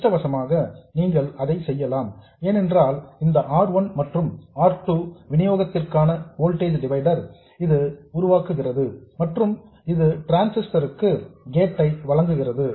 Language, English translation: Tamil, And fortunately you can do that because the R1 and R2 forms a voltage divider for this supply and it supplies the gate of the transistor